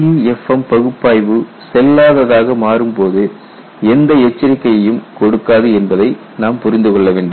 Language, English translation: Tamil, You have to understand the LEFM analysis gives no warning when it becomes invalid